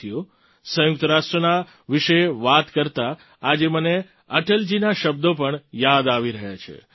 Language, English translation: Gujarati, today while talking about the United Nations I'm also remembering the words of Atal ji